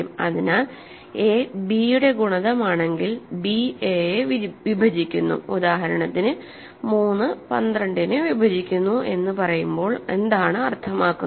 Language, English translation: Malayalam, So, if a is a multiple of b, we say b divides a; this is of course, what we mean when we say 3 divides 12 right 3 divides 12; that means, 3 that is because 3 times 4 is 12